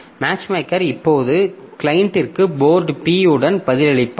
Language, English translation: Tamil, So, Mathemaker now replies to the client with port P